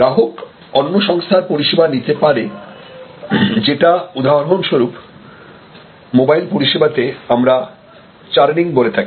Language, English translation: Bengali, They can go to another service provider, which in for example, in mobile service, we call churning